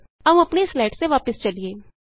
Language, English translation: Punjabi, Now let us go back to our slides